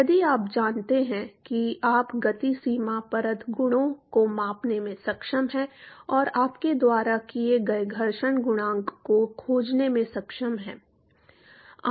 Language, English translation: Hindi, If you know you are able to measure the momentum boundary layer properties and are able to find the friction coefficient you are done